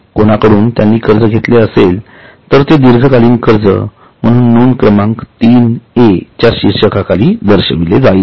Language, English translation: Marathi, From anybody, if they have taken loan, then it will be shown under the head 3A as long term borrowings